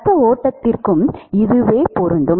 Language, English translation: Tamil, And that is true for the blood stream also